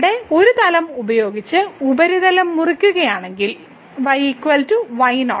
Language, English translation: Malayalam, So, if we cut the surface by a plane here is equal to